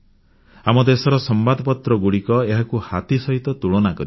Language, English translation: Odia, The newspapers of our country have compared it with elephantine weights